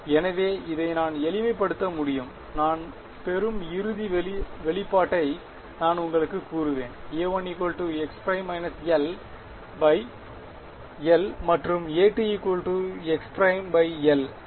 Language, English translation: Tamil, So, I can just simplify this I will tell you the final expression that I get I will get A 1 is equal to x prime minus l by l and A 2 from here is x prime by l l ok